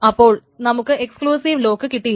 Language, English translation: Malayalam, So this is an exclusive lock that is being brought